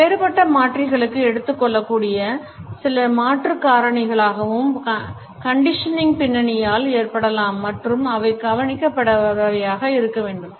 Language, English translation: Tamil, Some modifying factors that might be taken for differentiators are may be caused by the conditioning background and they should not be overlooked